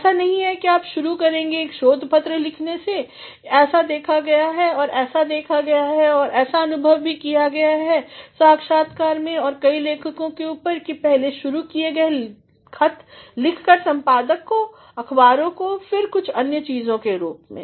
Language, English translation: Hindi, It is not that you will start with writing a research paper, it has been seen and it has been witnessed, it has also been experienced in interviews and tops of several authors, that the first started with writing letters to the editors to the newspapers, then in the form of some other things